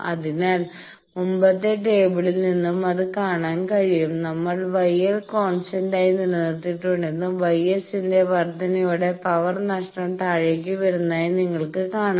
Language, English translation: Malayalam, So, that can be also seen from the table previous table that you see we have kept gamma L constant and with more increase in the gamma S you see the power lost actually is coming down